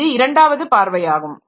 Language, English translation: Tamil, So, this is the second point